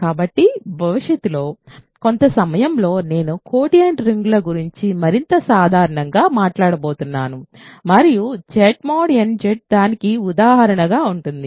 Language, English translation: Telugu, So, in the sometime in the future I am going to talk about quotient rings in more general and Z mod nZ will be an example of that